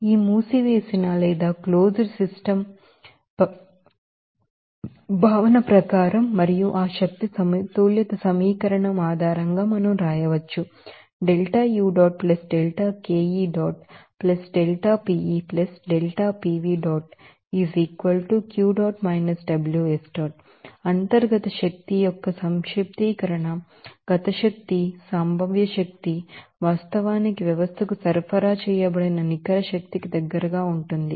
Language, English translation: Telugu, So, according to this closed system concept, and based on that energy balance equation we can write here summation of internal energy, kinetic energy potential energy that will actually will be close to the net energy supplied to the system